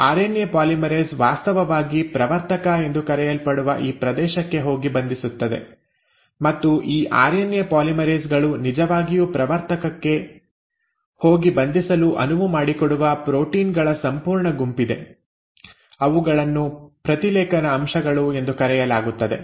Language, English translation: Kannada, RNA polymerase actually goes and binds to this region which is called as the promoter and there are a whole bunch of proteins which allow these RNA polymerase to actually go and bind to the promoter, they are called as transcription factors